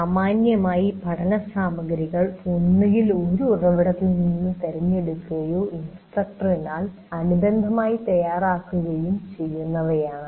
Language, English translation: Malayalam, So learning material either it is chosen from a source or supplemented by material prepared by the instructor